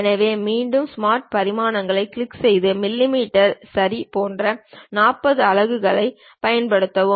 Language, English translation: Tamil, So, again click the Smart Dimensions and use it to be 40 units like millimeters ok